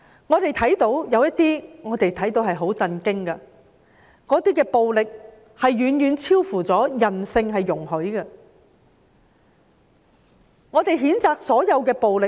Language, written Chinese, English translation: Cantonese, 我們也看到一些很令人震驚的情況，暴力是遠遠超乎人性所容許的，我們譴責所有的暴力。, We have also seen some appalling cases of violence beyond human tolerance . We condemn all acts of violence